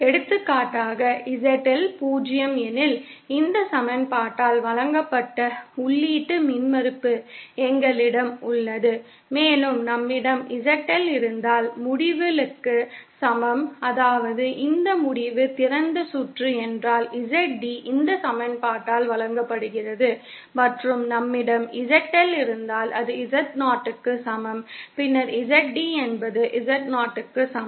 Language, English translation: Tamil, For example, if suppose ZL is 0, then we have the input impedance given by this equation, and if we have ZL is equal to Infinity, that is if this end is open circuited, then ZD is given by this equation and if we have ZL is equal to Z0, then we have ZD is equal to Z0